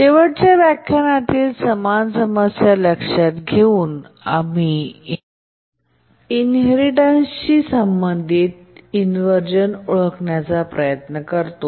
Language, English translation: Marathi, This is the same problem that we are considering in the last lecture and now we are trying to identify the inheritance related inversion